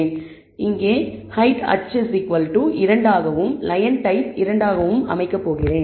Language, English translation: Tamil, Now, I am going to set the height, which is equal to h here, as 2 and the line type as 2